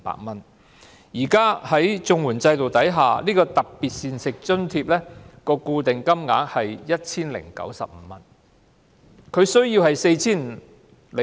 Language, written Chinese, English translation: Cantonese, 但是，在現行綜援制度下，特別膳食津貼的固定金額只有 1,095 元。, However under the current CSSA system the fixed amount for the special diet allowance is 1,095